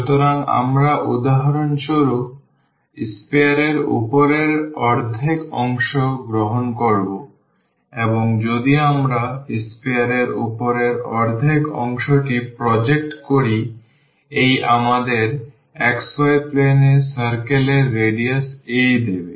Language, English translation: Bengali, So, we will take for instance the upper half part of the sphere and if we project that upper half part of the sphere; this will give us the circle of radius a in the xy plane